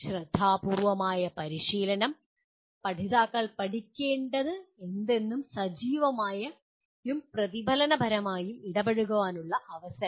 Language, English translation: Malayalam, Thoughtful practice, opportunities for learners to engage actively and reflectively whatever is to be learned